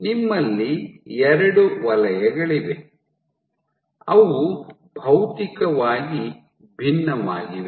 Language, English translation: Kannada, So, you have two zones which seem to be physically distinct